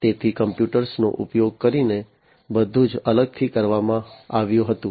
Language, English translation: Gujarati, So, everything was done separately using computers